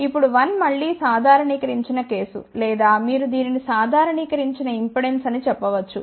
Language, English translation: Telugu, Now one is just again a generalized case, or you can say it is a normalized impedance